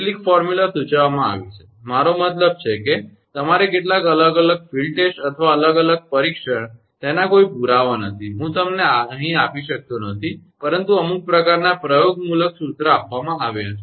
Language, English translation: Gujarati, Some formula have been proposed I mean some your different field test or different testing and there is no proof, I cannot give you here, but some kind of empirical formula has been given